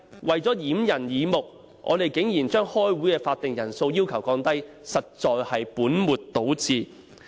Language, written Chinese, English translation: Cantonese, 為了掩人耳目，他們竟提議把開會的法定人數降低，實在是本末倒置。, In order to fool the people they propose to reduce the quorum of a meeting and this is exactly putting the cart before the horse